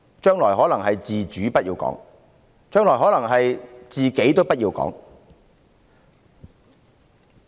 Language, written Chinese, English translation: Cantonese, 將來可能是"自主"不要講，甚至"自己"也不要講。, In the future maybe one cannot talk about autonomy and even talking about self will be forbidden